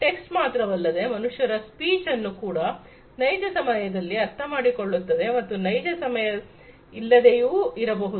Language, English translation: Kannada, Not just the text, but the speech of the human beings can be understood typically in real time or, you know, may not be real time as well